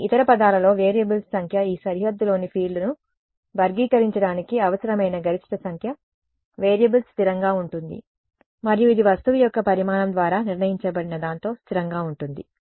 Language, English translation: Telugu, In some in other words the number of variables the maximum number of variables required to characterize the field on this boundary is fixed and it is fixed by something that is determined by the size of the object